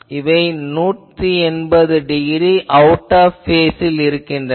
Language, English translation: Tamil, So, by there it is seen that they are 180 degree out of phase